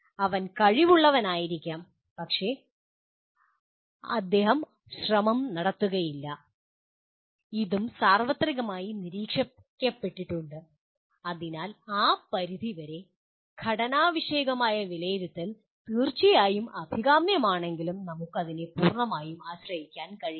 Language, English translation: Malayalam, He may be capable but he will not put the effort and this also has been observed universally, so, to that extent formative assessment while it is certainly desirable we cannot completely depend on that